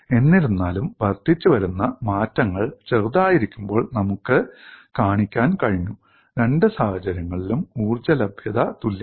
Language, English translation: Malayalam, However, we were able to show when the incremental changes are small, the energy availability is same in both the cases